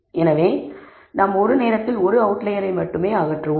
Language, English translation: Tamil, So, we do remove only one outlier at a time